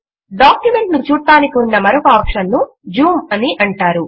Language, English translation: Telugu, Another option for viewing the document is called Zoom